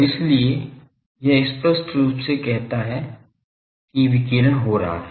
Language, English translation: Hindi, And so, this clearly says that this radiation is taking place